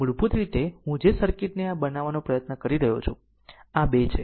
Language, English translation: Gujarati, So, basically the circuit I am trying to make it like this; this is 2 right